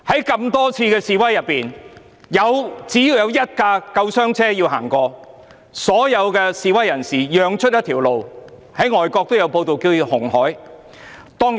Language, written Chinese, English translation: Cantonese, 在多次示威活動中，只要有一輛救護車需要通過，所有示威人士都會讓出一條路——外國也有報道，將之稱為"紅海"。, In many demonstrations every time an ambulance needed to pass all the demonstrators made way for it like parting the Red Sea which was also covered by foreign media